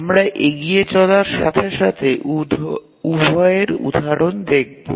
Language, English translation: Bengali, We will see examples of both as we proceed